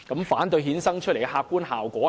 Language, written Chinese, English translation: Cantonese, 反對衍生出來的客觀效果是甚麼？, Then what will be the objective consequences brought about by the opposition?